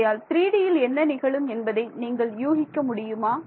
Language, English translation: Tamil, So, can you guess in 3D what will happen